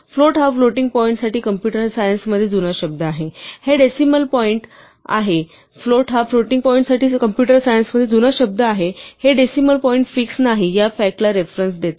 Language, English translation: Marathi, Float is an old term for computer science for floating point; it refers to the fact that this decimal point is not fixed